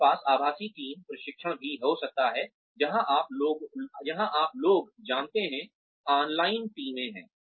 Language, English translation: Hindi, we can have virtual team training also, where people, you know, have teams online